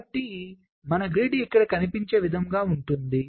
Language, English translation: Telugu, so i am splitting the grid like this